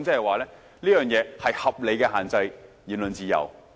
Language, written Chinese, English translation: Cantonese, 換言之，這是合理地限制言論自由。, In other words it is a reasonable limitation on the freedom of speech